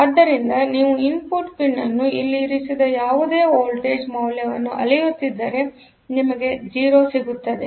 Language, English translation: Kannada, So, whatever voltage value that you put at the input pin; so, if you measure the voltage here you will get a 0